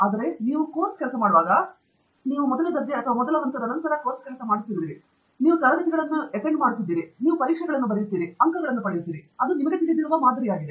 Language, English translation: Kannada, Whereas, when you do course work, it is something that you have done since first grade or first standard onwards you have been doing course work, you do classes, you write exams, you get marks; that is a pattern that you know